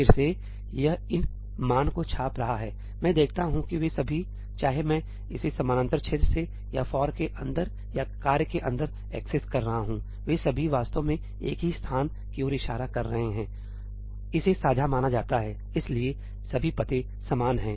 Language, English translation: Hindi, Again, itís printing these values I see that all of them, whether I am accessing it from the parallel region, or inside the ëforí, or inside the ëtaskí all of them are actually pointing to exactly the same location; itís treated as shared; so, all addresses are the same